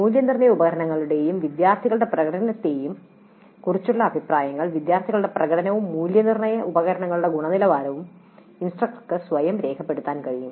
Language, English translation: Malayalam, Comments on assessment instruments and student performance, the instructor herself can note down the performance of the students as well as the quality of the assessment instruments